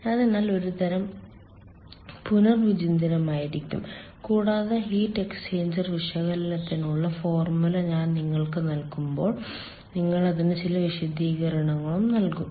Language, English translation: Malayalam, so that will be some sort of a recapitulation, and while, ah, i will provide you with the formula for heat exchanger analysis, ah, we will also do some sort of